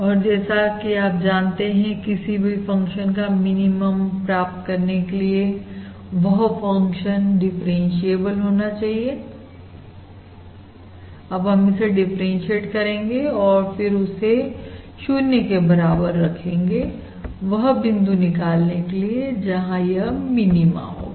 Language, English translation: Hindi, And for that, basically, as you all know, for any function, to find the minimum, that is, if it is differentiable, I can basically differentiate it and set it equal to 0 to find the point where the minima is